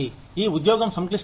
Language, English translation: Telugu, The job is complex